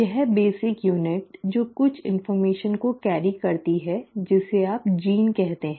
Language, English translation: Hindi, This basic unit which carries certain information is what you call as a “gene”